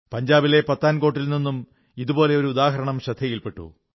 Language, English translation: Malayalam, I have come to know of a similar example from Pathankot, Punjab